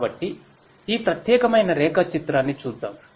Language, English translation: Telugu, So, let us look at this particular diagram